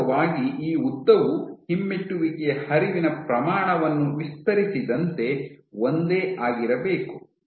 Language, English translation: Kannada, So, actually this length should be, the same the magnitude of the retrograde flow is extended